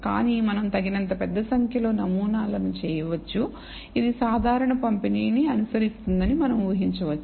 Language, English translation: Telugu, But we can for large enough number of samples, we can assume that it follows a normal distribution